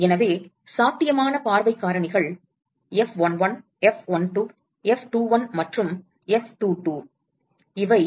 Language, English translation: Tamil, So, what are all the possible view factors F11, F12, F21 and F22